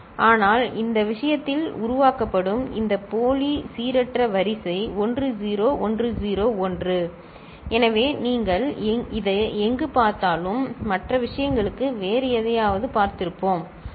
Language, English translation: Tamil, But in this case this pseudo random sequence that is getting generated is 1 0 1 0 1… so, whatever you see over here and for the other case we saw something else, ok